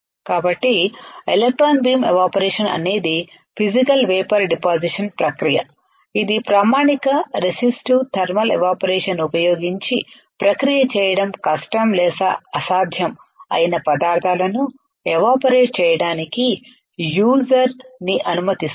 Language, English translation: Telugu, So, electron beam evaporation is a Physical Vapor Deposition process that allows the user to evaporate the materials that are difficult or impossible to process using standard resistive thermal evaporation right